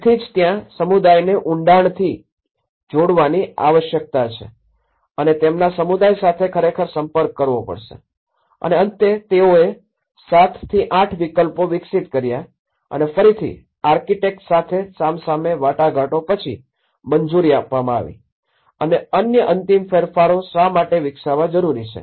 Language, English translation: Gujarati, So, that is where a deeper engagement is required with the community and they have to actually interact with the community and finally, they developed over 7 to 8 alternatives and again and one to one interaction with the architects has been allowed and that is why even the other further final modifications have been developed